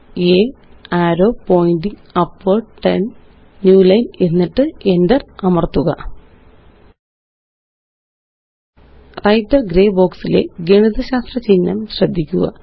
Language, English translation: Malayalam, a arrow pointing upward 10 new line and press Enter Notice the mathematical symbol in the Writer gray box